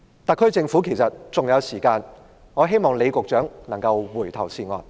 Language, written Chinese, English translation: Cantonese, 特區政府其實還有時間，我希望李局長能夠回頭是岸。, The SAR Government actually still has time and I hope Secretary John LEE will repent and salvation is at hands